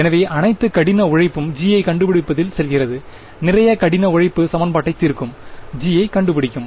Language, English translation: Tamil, So, all the hard work goes into finding out g, a lot of hard work will go into finding out g that is solving equation 2